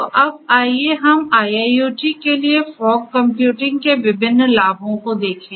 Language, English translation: Hindi, So, now, let us look further at these different advantages of fog computing for IIoT